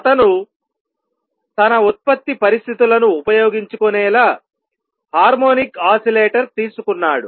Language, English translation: Telugu, He took an harmonic oscillator so that he could use his product conditions